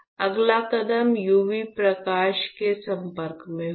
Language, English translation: Hindi, The next step would be exposed to UV light